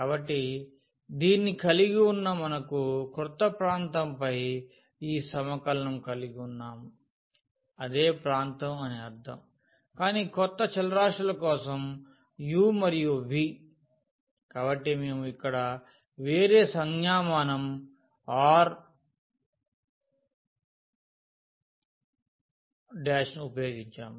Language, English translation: Telugu, So, having this we have this integral here over the new region I mean the same region, but for the new variables u and v, so that is what we have used here different notation r prime